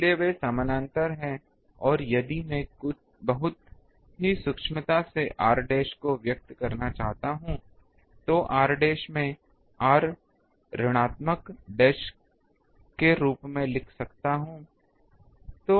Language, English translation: Hindi, So, they are parallel and if I very minutely I want to express r dash r dash I can write as r minus z dash into cos theta